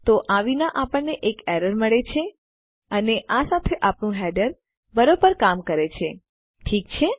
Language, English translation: Gujarati, So without this we get an error and with this our header works fine, okay